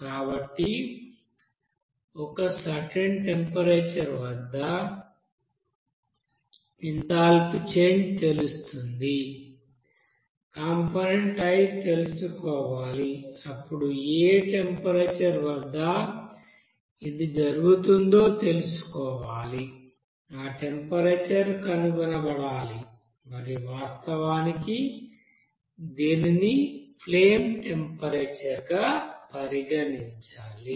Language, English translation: Telugu, So at a certain temperature you will see that the change of this you know enthalpy for this you know component i then you have to find out at which temperature this will happen then that temperature to be found out and it is to be actually considered as a flame temperature